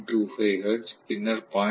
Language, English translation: Tamil, 25 hertz, then 0